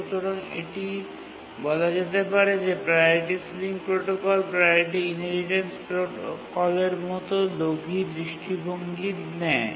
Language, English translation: Bengali, So we can say that Priority Sealing Protocol is not a greedy approach in contrast to the priority inheritance protocol which is a greedy approach